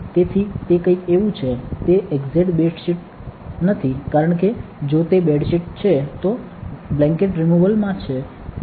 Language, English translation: Gujarati, So, it is something like that, just that it is not exactly a bed sheet because if it is a bed sheet is in a blanket removal